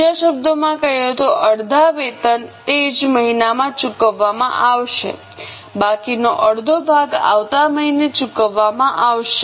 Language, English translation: Gujarati, In other words, half of the wages will be paid in the same month, remaining half is paid in the next month